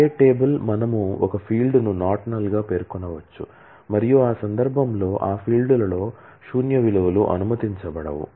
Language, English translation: Telugu, Create table we can specify a field to be not null and then in that case null values will not be allowed in those fields